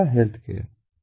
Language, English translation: Hindi, second is the healthcare